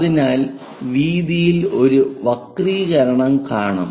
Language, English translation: Malayalam, So, a distortion in the width will be introduced